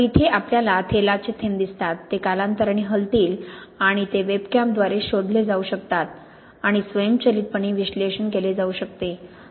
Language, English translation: Marathi, So here we see the oil drops, these will move over time and these can then be detected by the webcam and analyzed automatically